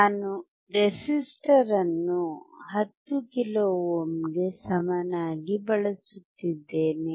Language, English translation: Kannada, I am using resistor equals to 10 kilo ohm